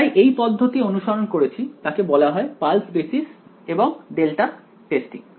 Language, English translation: Bengali, So, this method that we did it is also called pulse basis and delta testing